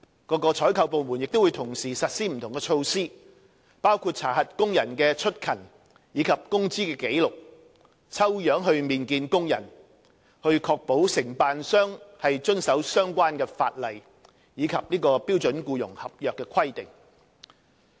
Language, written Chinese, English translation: Cantonese, 各採購部門亦會同時實施不同的措施，包括查核工人的出勤和工資紀錄，並以抽樣形式面見工人，以確保承辦商遵守相關法例及標準僱傭合約的規定。, Meanwhile various procuring departments will also implement different measures including checking of attendance records and wage records of the workers as well as interviewing workers on a random basis to ensure that contractors have complied with the relevant legislation and requirements of the standard employment contract